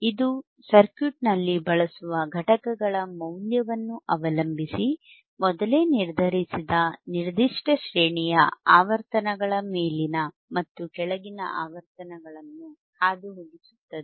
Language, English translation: Kannada, It will pass above and pass above and below particular range of frequencies whose cut off frequencies are predetermined depending on the value of the components used in the circuit